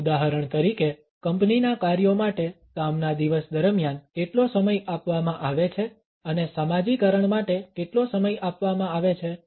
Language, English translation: Gujarati, For example how much time is given during a work day to the company tasks and how much time is given to socializing